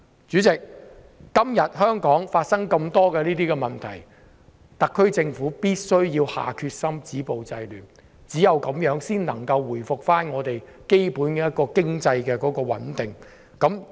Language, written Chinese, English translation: Cantonese, 主席，今天香港出現這麼多類似的問題，特區政府必須下決心止暴制亂，只有這樣才能夠回復香港基本的經濟穩定。, Chairman there are many similar problems in Hong Kong . The SAR Government must show its determination to stop violence and curb disorder . Only by so doing can it restore the basic economic stability to Hong Kong